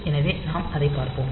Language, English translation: Tamil, So, we will go into that